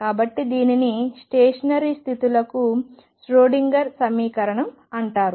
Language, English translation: Telugu, So, this is known as the Schrödinger equation, for stationary states